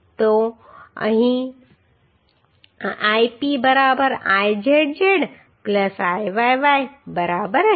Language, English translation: Gujarati, So here Ip will be equal to Izz plus Iyy right